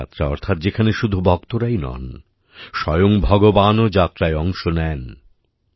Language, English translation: Bengali, Dev Yatras… that is, in which not only the devotees but also our Gods go on a journey